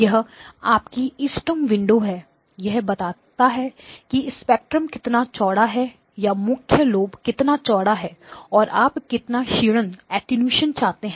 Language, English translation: Hindi, This is your optimal window; it tells you how wide the spectrum or how wide the main lobe be and how much attenuation you want